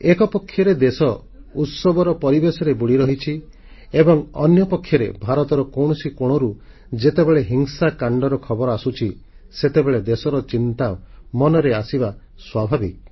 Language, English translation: Odia, When on the one hand, a sense of festivity pervades the land, and on the other, news of violence comes in, from one part of the country, it is only natural of be concerned